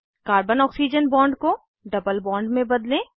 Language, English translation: Hindi, Convert Carbon Oxygen bond to a double bond